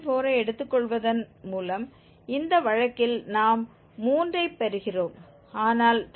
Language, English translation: Tamil, 4 which was close to this 3, we are getting 3 in this case but 3